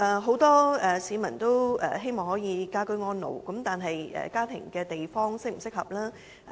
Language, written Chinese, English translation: Cantonese, 很多市民均希望可以居家安老，但居住的地方是否適合？, A lot of citizens wish to age in place but the point is Are their homes suitable for this purpose?